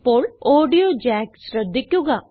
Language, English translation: Malayalam, Now, lets look at the audio jacks